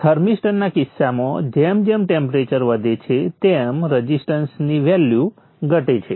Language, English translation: Gujarati, In the case the thermister as the temperature increases the value of the resistance will come down will decrease